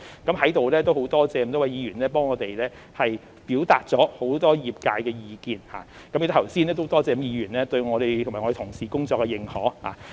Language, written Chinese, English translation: Cantonese, 我們在此感謝各位議員表達了很多業界的意見，也感謝剛才各位議員對我們和同事工作的認可。, Here we thank Members for relaying many views of the industry . We also thank Members for their recognition of our work just now